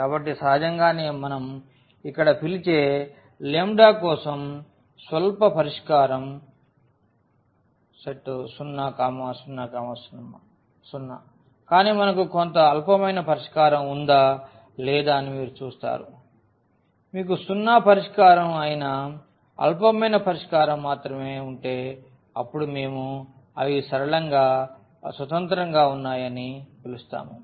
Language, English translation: Telugu, So, naturally all the trivial solution what we call here is 0, 0, 0 for lambdas, but you will see whether we have some non trivial solution or not if you have only the trivial solution that is the zero solution then we call that they are linearly independent